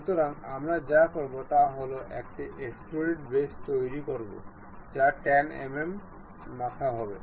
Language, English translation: Bengali, So, what we will do is construct extruded boss it will be 10 mm head